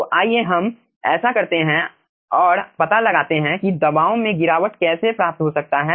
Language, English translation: Hindi, so let us do that and find out how the aah pressure drop can be obtained